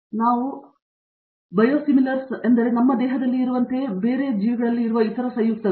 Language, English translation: Kannada, So, Biosimilars means the compounds that are similar to what we have in our body